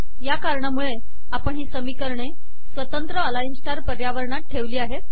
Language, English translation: Marathi, In view of these observations, we put both of these equations into a single align star environment